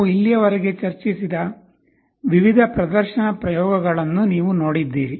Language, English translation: Kannada, You have seen through the various demonstration experiments that we have discussed so far